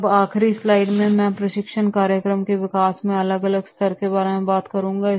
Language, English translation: Hindi, So now I will like to take the last slide that is the stages of development of training program